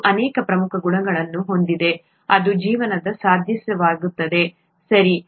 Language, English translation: Kannada, Water has very many important properties that make life possible, okay